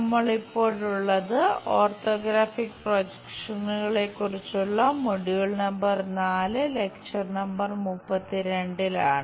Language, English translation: Malayalam, We are covering module number 4, lecture number 32, on Orthographic Projections part 2